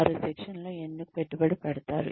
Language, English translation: Telugu, Why do they invest in training